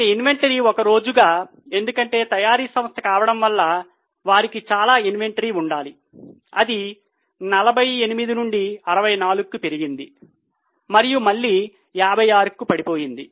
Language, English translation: Telugu, Inventry as a days because being a manufacturing company has to maintain lot of inventory, it has increased from 48 to 64 and again it went down to 56